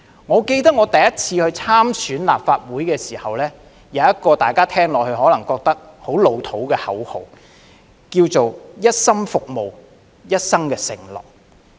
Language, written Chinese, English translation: Cantonese, 我記得我首次參選立法會議員時，有一個大家聽起來可能會覺得很"老套"的口號是"一心服務，一生承諾"。, I remember that the first time I stood for election to be a Legislative Council Member my slogan was wholehearted service and lifelong commitment which might sound very old school